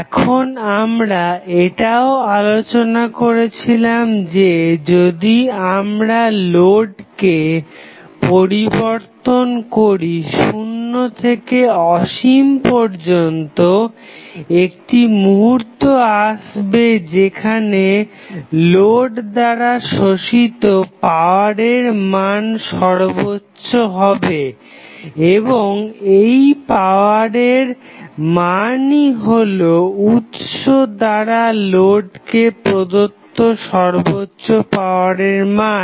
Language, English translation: Bengali, Now, we also discuss that, if you keep on changing the load, from 0 to infinity, there would be 1 condition at which your power being absorbed by the load is maximum and that is the power being given to the load by the sources is maximum